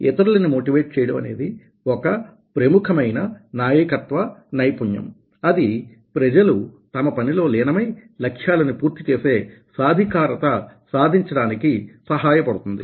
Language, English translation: Telugu, motivating others is an important leadership skill that will help to get people involved and empower them to complete the tasks